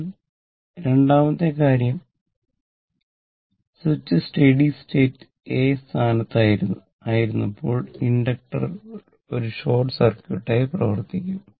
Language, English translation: Malayalam, Now, second thing, when switch was in position a under steady state condition inductors act as a short circuit right